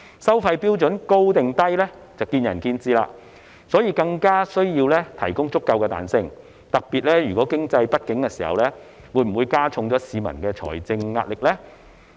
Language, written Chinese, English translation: Cantonese, 收費標準屬於高或低是見仁見智，所以更加需要提供足夠彈性，特別是當經濟不景時，會否加重了市民的財政壓力呢？, As it is a matter of opinion whether the fee levels are high or low it is all the more necessary to allow sufficient flexibility . During economic downturns in particular will it add to the financial pressure of the public?